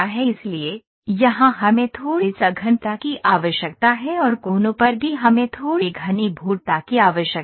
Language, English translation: Hindi, So, here we need to have a little denser meshing and at the corners also we need to have a little denser meshing